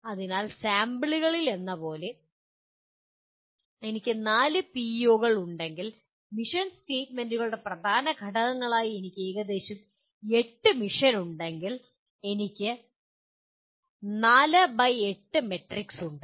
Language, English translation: Malayalam, So you may have, if I have four PEOs as in the sample and if I have about 8 mission, the key elements of the mission statements, I have a 4 by 8 matrix